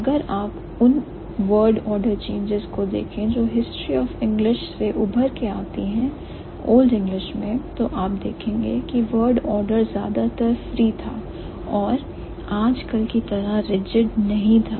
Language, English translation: Hindi, If you look at the word order changes that emerge from the history of English, in Old English the word order was mostly free